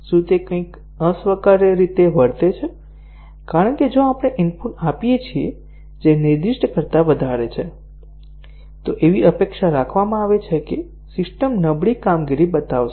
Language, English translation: Gujarati, Does it behave something very unacceptably because if we gives input which is beyond what is specified, it is expected that the system will show a degraded performance